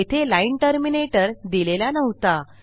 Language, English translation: Marathi, Didnt use the line terminator